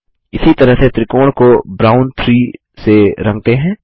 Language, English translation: Hindi, Now lets color the rectangle in brown 4 in the same way, again